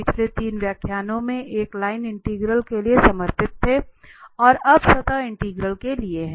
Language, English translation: Hindi, The last, these 3 lectures were devoted one for the line integral and now for the surface integral